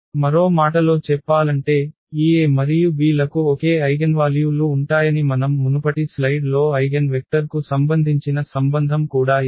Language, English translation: Telugu, In other words, we can say again that this A and B will have the same eigenvalues and we have seen again in the previous slide here the relation for the eigenvectors as well ok